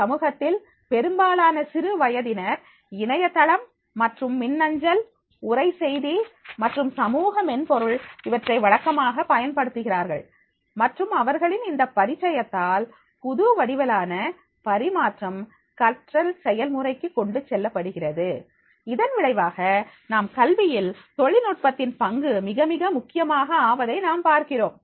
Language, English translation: Tamil, Most young people in societies make routine use of the Internet and email, text messaging and social software and their familiarity with this new forms of exchange are carried over into their learning process and as a result of which we will find that is the role of technology in education that has become very, very important